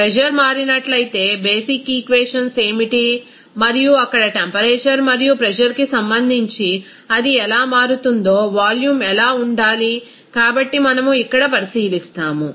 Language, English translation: Telugu, What will be the basic equations if there is a change of pressure and what should be the volume how it will be changing with respect to temperature and pressure there, so we will be considering here